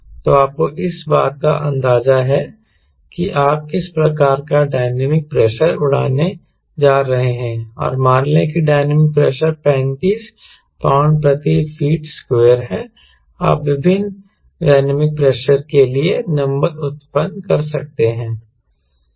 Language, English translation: Hindi, so you have enough idea of what sort of dynamic pressure because you are going to fly and lets say that pressure is thirty five pound per feet square, you can generate numbers for various dynamic pressure